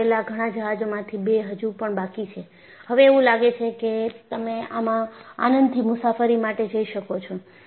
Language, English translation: Gujarati, Out of the many ships fabricated, two still remain and it appears, now, you can go for a jolly ride in this